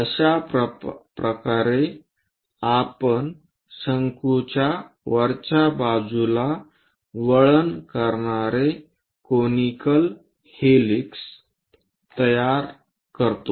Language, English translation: Marathi, This is the way we construct a conical helix winding a cone on the top side